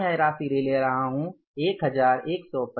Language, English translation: Hindi, I am taking this amount as this is the 11125